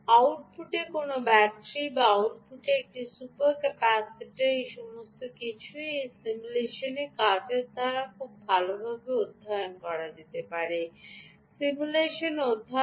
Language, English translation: Bengali, all of this, whether a battery at the output or a super capacitor at the output, all of this can be very well studied by this simulation work